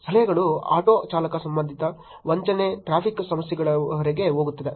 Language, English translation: Kannada, suggestions, auto driver related, fraud, till traffic issues